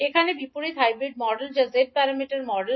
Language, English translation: Bengali, Here the inverse hybrid model that is the g parameter model